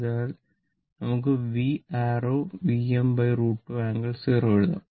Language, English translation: Malayalam, Now, that means, V is equal to we can write V angle 0